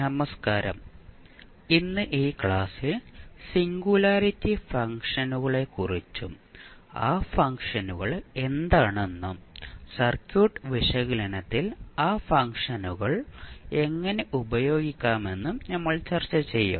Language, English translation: Malayalam, So, today in this lecture we will discuss about the singularity functions, what are those functions and we will see how we will use those functions in our circuit analysis